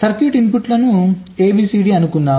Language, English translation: Telugu, lets say the inputs are a, b, c, d